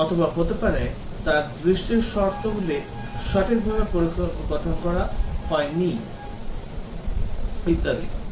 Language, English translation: Bengali, Or maybe his look conditionals were not properly formed and so on